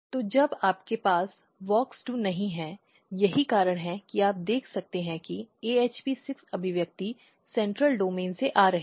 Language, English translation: Hindi, So, when you do not have a WOX2 that is why you can see that AHP6 expression is coming in the central domain